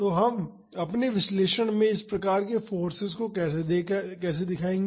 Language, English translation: Hindi, So, how will we represent this type of forces in our analysis